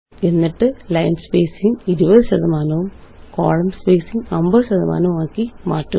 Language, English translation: Malayalam, And change the line spacing to 20 percent and column spacing to 50 percent